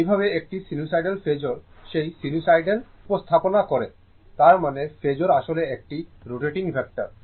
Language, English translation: Bengali, This how that sinusoidal ah representation of an sinusoidal signal by a phasor; that means, phasor actually phasor is a rotating vector, right